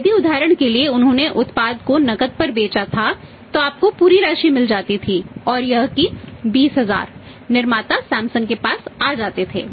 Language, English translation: Hindi, If for example he had been sold the product on cash you would have realize the entire amount and that 20000 would have come to the manufacture to Samsung